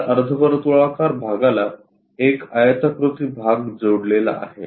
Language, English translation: Marathi, So, there is a rectangular portion connected by this semicircle portion